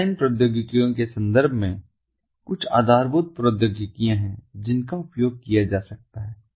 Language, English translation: Hindi, in terms of the baseline technologies, there are quite a few baseline technologies that are that can be used